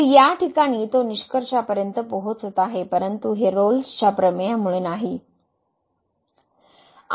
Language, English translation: Marathi, So, in this case it is reaching the conclusion, but this is not because of the Rolle’s Theorem